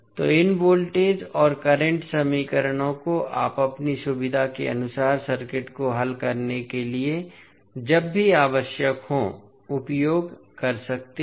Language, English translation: Hindi, So, these voltage and current equations you can use whenever it is required to solve the circuit according to your convenience